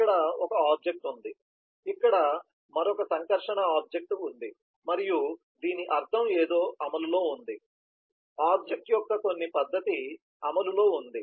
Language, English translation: Telugu, so there is an object here, there is another interacting object here and this means something is in execution, some method of an object is in execution